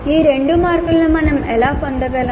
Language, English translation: Telugu, Now how do we get these two marks